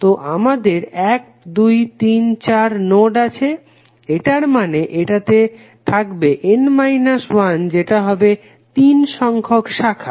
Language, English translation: Bengali, So we have 1,2,3,4 nodes, it means that it will have n minus one that is three branches